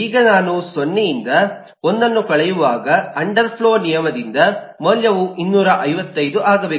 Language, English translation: Kannada, now when I subtract 1 from 0, the value should become 255 by the underflow rule